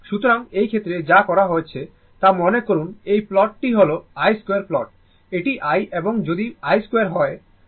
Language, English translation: Bengali, So, in this case, in this case what has been done that suppose this plot is i square plot, this is the i and if you plot i square